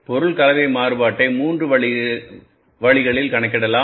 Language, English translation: Tamil, Material mix variance can be calculated in the three different ways